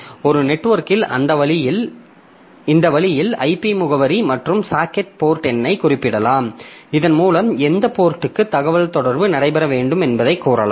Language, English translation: Tamil, So, this way over a network we can specify the IP address and the socket port number by that we can tell to which communication to which port the communication should take place